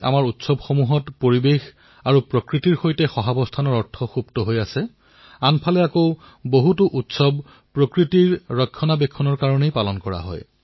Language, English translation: Assamese, On the one hand, our festivals implicitly convey the message of coexistence with the environment and nature; on the other, many festivals are celebrated precisely for protecting nature